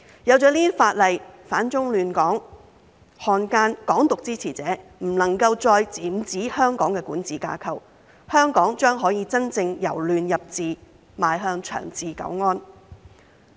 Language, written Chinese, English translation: Cantonese, 有了這些法例，反中亂港分子、漢奸和"港獨"支持者便不能夠再染指香港的管治架構，香港將可以真正由亂入治，邁向長治久安。, With such legislation elements that oppose China and disrupt Hong Kong traitors and supporters of Hong Kong independence will no longer be able to infiltrate the governance structure of Hong Kong and Hong Kong will be able to halt chaos and restore order and move towards long - term peace and stability